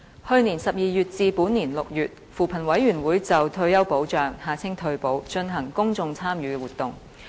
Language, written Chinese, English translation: Cantonese, 去年12月至本年6月，扶貧委員會就退休保障進行公眾參與活動。, From December last year to June this year the Commission on Poverty CoP conducted a public engagement exercise on retirement protection